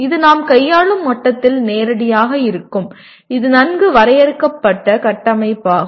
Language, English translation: Tamil, It is directly the way at the level at which we are handling, it is a well defined framework